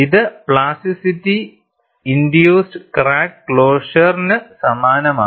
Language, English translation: Malayalam, This is similar to the plasticity induced crack closure